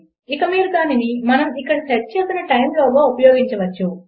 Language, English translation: Telugu, And you could use it within this time that we have set here